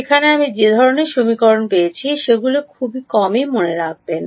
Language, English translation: Bengali, Remember the kind of equations that I get there will be sparse